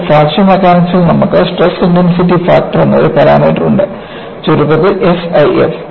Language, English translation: Malayalam, And then, you will have in Fracture Mechanics, you have a parameter called Stress Intensity Factor; abbreviated as S I F